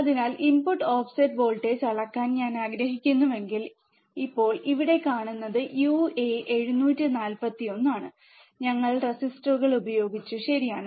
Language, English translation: Malayalam, So, if I want to measure the input offset voltage, now you see here these are uA741, we have used resistors, right